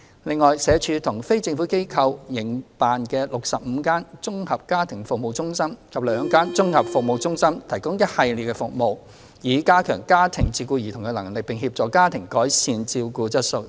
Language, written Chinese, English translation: Cantonese, 另外，社署和非政府機構營辦的65間綜合家庭服務中心及兩間綜合服務中心，提供一系列的服務，以加強家庭照顧兒童的能力，並協助家長改善照顧質素。, In addition the 65 Integrated Family Service Centres and the two Integrated Services Centres operated by SWD and NGOs provide a range of services to strengthen families capability in caring for children and help parents improve the care quality